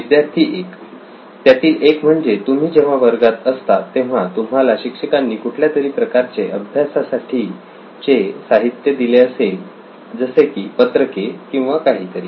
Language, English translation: Marathi, Yeah One of them is when you are in class your teacher might have given you some sort of study material like handout or something